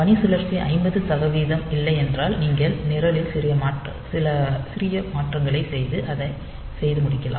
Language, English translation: Tamil, So, if duty cycle is not 50 percent, then also you can do some small modification to the program and get it done